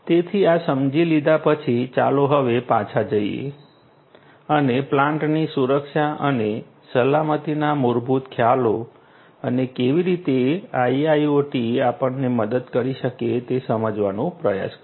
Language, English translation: Gujarati, So, having understood this let us now go back and try to understand the basic concepts of plant security and safety and how IIoT can help us